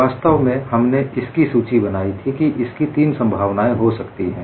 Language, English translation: Hindi, In fact, we listed there could be three possibilities